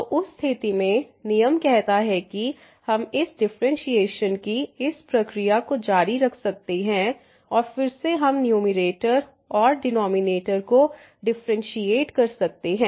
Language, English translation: Hindi, So, in that case the rules says that we can continue this process of these differentiation and again we can differentiate the numerator and again the denominator